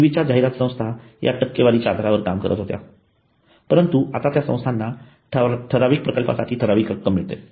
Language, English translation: Marathi, Previous agencies worked on commission basis but now they get fixed amount of remuneration on a specific project